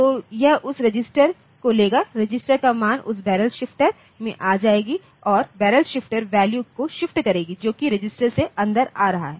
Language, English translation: Hindi, So, it will be taking that register, the register value will come to that barrel shifter and that barrel shifter will be shifting the value for coming in the from coming from the register